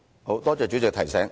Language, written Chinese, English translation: Cantonese, 好，多謝主席提醒。, Alright thank you for your reminder President